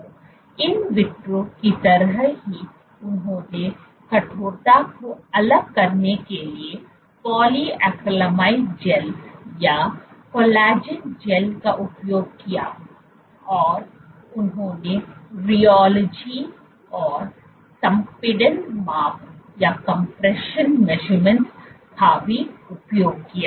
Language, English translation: Hindi, So, just like in vitro they used polyacrylamide gels or collagen gels to vary the stiffness, they used rheology and compression measurements